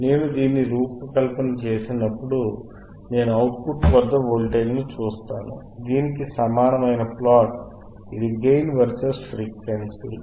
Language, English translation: Telugu, , right, aAnd when I design this, I see at the output voltage, a plot similar to this, which is the gain vsor is frequency